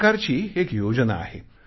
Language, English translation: Marathi, It is a scheme of the Government of India